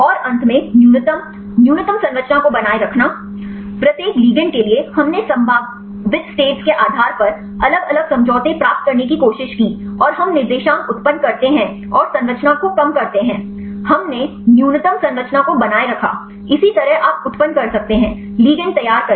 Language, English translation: Hindi, And finally, retained lowest minimize structure; for each ligand, we tried to get different conformations based on the possible states and we generate the coordinates and minimize the structure; we retained the minimized structure; likewise you can generate; prepare the ligands